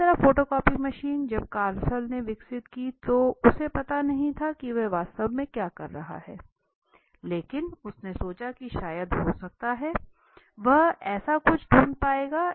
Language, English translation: Hindi, Similarly photocopy machine when Carlson developed he had no clue that what is he exactly doing but he thought of may be possibly, he would be able to find something like this